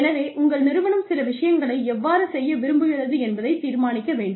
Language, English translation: Tamil, So, your organization has to decide, how it wants to do certain things